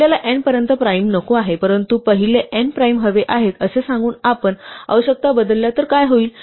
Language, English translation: Marathi, What if we change our requirements saying that we do not want primes up to n, but we want the first n primes